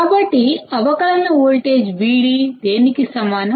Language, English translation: Telugu, So, the differential voltage Vd will be equal to what